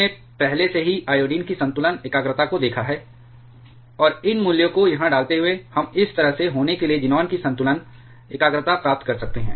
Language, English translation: Hindi, We have already seen the equilibrium concentration of iodine, and putting these values here, we can get the equilibrium concentration of xenon to be like this